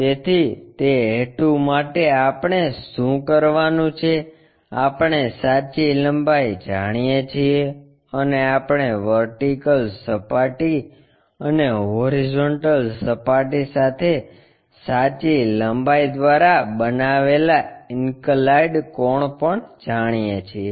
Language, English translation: Gujarati, So, for that purpose what we have to do, we know the true length and we know the inclination angle made by the true length with vertical plane and also horizontal plane